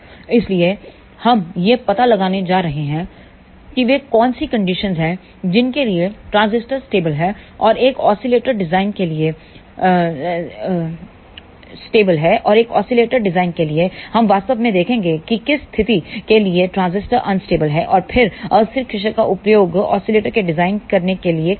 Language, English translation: Hindi, So, we are going to find out what are those conditions, for which conditions the transistor is stable and for a oscillator design; we will actually see for which condition transistor is unstable and then we will use the unstable region to design oscillator